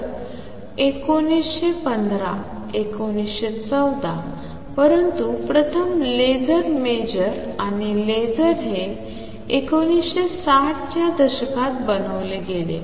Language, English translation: Marathi, So, 1915, 1914, but the first laser major and laser it was made in 1960s